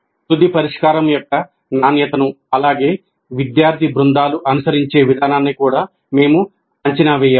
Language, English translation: Telugu, We also need to assess the final solution, the quality of the final solution produced, as well as the process followed by the student teams